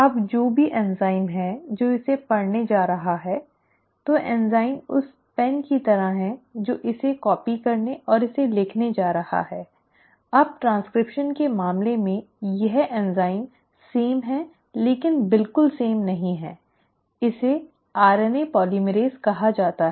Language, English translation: Hindi, Now whatever is the enzyme which is going to read it; so enzyme is like the pen which is going to copy it and write it down, now that enzyme in case of transcription is similar but not exactly same, similar, it is called as RNA polymerase